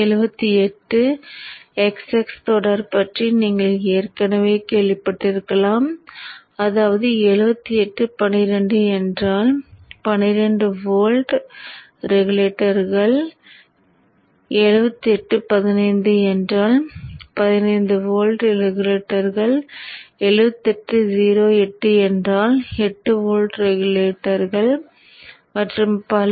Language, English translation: Tamil, So these there are many linear regulators you may already have heard of the 7 8XX series, which means 7 8, 1 2 is 12 volt regulator, 7 8, 15 volt regulator, 7 8 is 15 volt regulator, 7 8, 0 8 is 8 volt regulator, so on and so forth